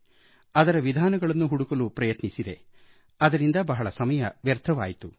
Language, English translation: Kannada, I tried to explore and find out various methods of copying and wasted a lot of time because of that